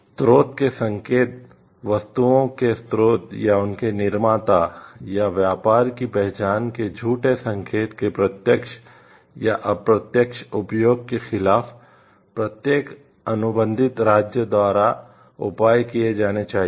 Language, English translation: Hindi, Indications of source; measures must be taken by each contracting state is direct or indirect use of a false indication of the source of goods or the identity of their producer manufacturer or trader